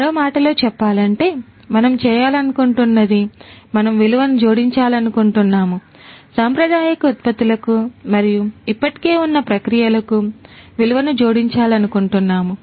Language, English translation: Telugu, In other words, what we want to do is that we want to add value; we want to add value to the products and the processes that are already there, the traditional ones